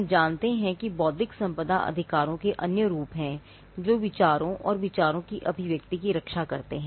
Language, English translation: Hindi, We know that there are other forms of intellectual property rights which protect, which protect ideas and expressions of ideas